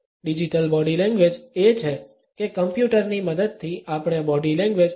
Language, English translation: Gujarati, Digital Body Language is about how with the help of computers, we can understand body language